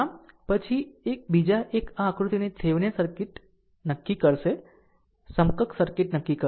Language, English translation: Gujarati, So, next another one is determine Thevenin equivalent circuit of this figure